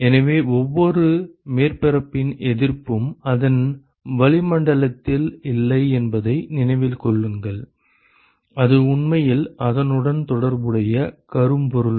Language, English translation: Tamil, So, keep in mind that the resistance of every surface is not to it’s atmosphere; it is actually to it is corresponding black body